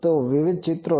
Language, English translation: Gujarati, So, it is various pictures